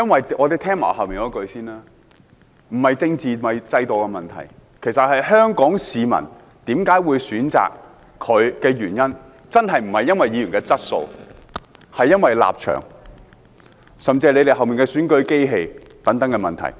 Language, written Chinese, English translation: Cantonese, 這不是政治，也不是制度的問題，其實，香港市民為何會選擇許智峯，真的不是因為議員的質素，而是因為立場，甚至是他們背後的選舉機器等問題。, The problem does not relate to politics or the system . In fact Hong Kong people elected Mr HUI Chi - fung not because of his quality but because of his stance or even because of the electoral machinery of the democrats and so on